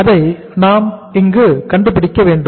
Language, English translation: Tamil, That we will have to find out here